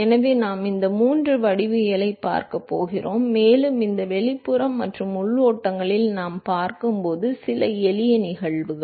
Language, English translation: Tamil, So, we going to see these three geometries, and few other simple case which we going to see in these external and the internal flows